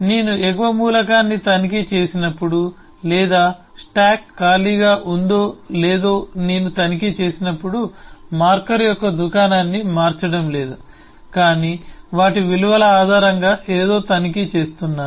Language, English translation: Telugu, when I checked the top element, or I check if a stack is empty or not, am not changing the store of the object but am just checking out something based on their values